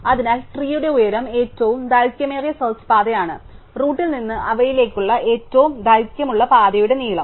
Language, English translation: Malayalam, So, the height of the tree is a longest such path, the length of the longest path from the root to the node